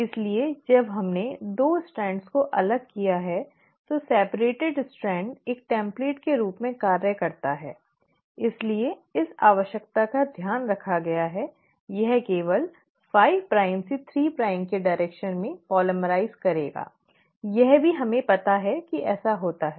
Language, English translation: Hindi, So when we have separated the 2 strands, the separated strand acts as a template, so this requirement has been taken care of, it will polymerize only in the direction of 5 prime to 3 prime; that also we know it happens